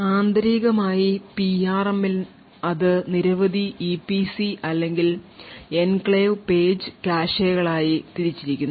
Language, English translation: Malayalam, So internally what happens with the PRM is that it is divided into several EPC’s or Enclave Page Caches